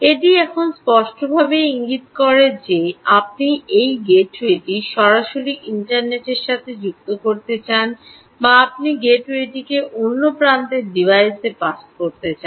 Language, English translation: Bengali, it now clearly indicates that you have a choice: whether you want to connect this gateway directly out to the internet or you want to pass the gateway to another edge device which in turn connects to the internet